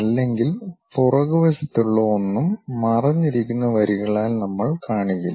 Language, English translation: Malayalam, Otherwise, anything at back side we do not show it by hidden lines